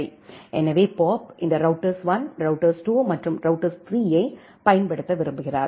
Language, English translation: Tamil, So, Bob wants to use this router 1, router 2 and router 3